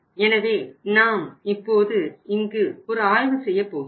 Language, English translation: Tamil, So we will have to now go for this analysis here